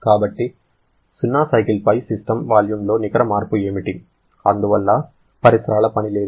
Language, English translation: Telugu, So, what is the net change in volume of the system over a cycle that is 0 and therefore there is no surrounding work